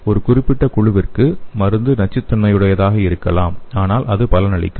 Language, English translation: Tamil, So to particular group the drug may be toxic but it is beneficial